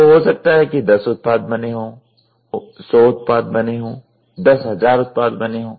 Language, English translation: Hindi, So, maybe 10 products are made, 100 products are made, 10000 products are made